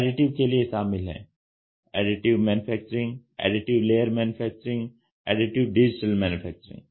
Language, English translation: Hindi, Additive: Additive Manufacturing, Additive Layer Manufacturing, Additive Digital Manufacturing